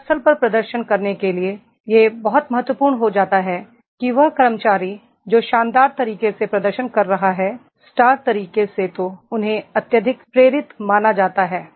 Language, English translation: Hindi, To perform at the workplace it becomes very important that is the employee, those who are performing in an excellent way, in a star way then they are supposed to be highly motivated